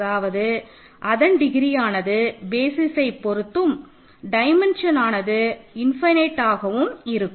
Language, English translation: Tamil, That means, the degrees is in basis the dimension is infinite